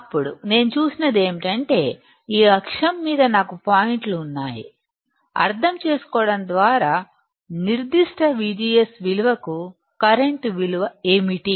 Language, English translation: Telugu, Then, what I see is that I have points on this axis, just by understanding, what is the current value for particular V G S value